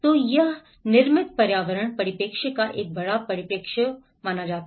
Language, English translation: Hindi, So, this brings a larger perspective of the built environment perspective